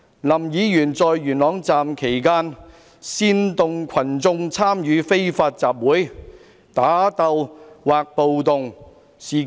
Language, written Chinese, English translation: Cantonese, 林議員在元朗站期間，煽惑群眾參與非法集會、打鬥或暴動。, When Mr LAM was at Yuen Long Station he incited the people to participate in unlawful assembly fighting or riot